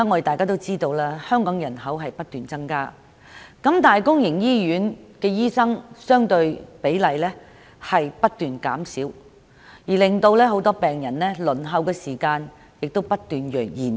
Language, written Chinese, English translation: Cantonese, 眾所周知，香港人口不斷增加，但相對而言，公營醫院的醫生比例卻不斷減少，令病人的輪候時間不斷延長。, As we all know the population of Hong Kong keeps increasing but the relative proportion of doctors serving in public hospitals is decreasing thus lengthening the waiting time of patients